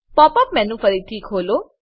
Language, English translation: Gujarati, Open the Pop up menu again